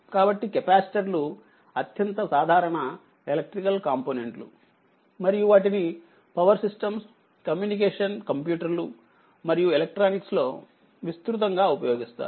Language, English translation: Telugu, So, capacitors are most common electrical component and are used extensively in your power system, communication computers and electronics